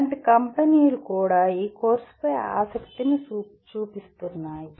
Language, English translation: Telugu, Such companies will also be interested in this course